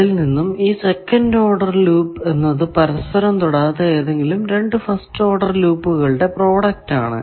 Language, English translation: Malayalam, Second order loop is product of any two non touching first order loop